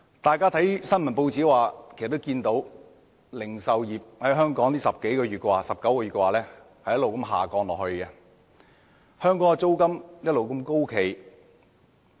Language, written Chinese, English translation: Cantonese, 大家從報章的報道可得知，香港零售業總銷貨價值在近19個月連續下跌，租金卻一直高企。, As Members may have learnt from press reports the value of total retail sales in Hong Kong has recorded a decline for 19 months in a row whereas the rent has remained on the high side